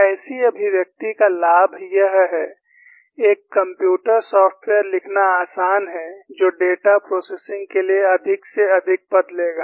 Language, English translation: Hindi, The advantage of such an expression is, it is easy to write a computer software, which would take as many terms as possible, for data processing